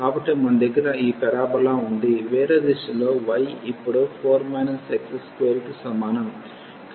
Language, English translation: Telugu, So, we have this parabola which is other direction now y is equal to 4 minus x square